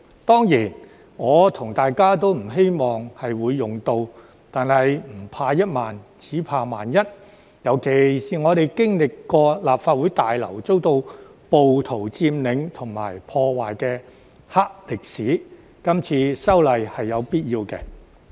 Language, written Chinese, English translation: Cantonese, 當然，我和大家都不希望會用到，但是"唔怕一萬，只怕萬一"，尤其是我們經歷過立法會大樓遭到暴徒佔領及破壞的"黑歷史"，今次修例是有必要的。, Certainly Members and I do not wish to see these provisions being invoked but it is better safe than sorry especially after we have experienced the dark history of the occupation and damage of the Legislative Council Complex by rioters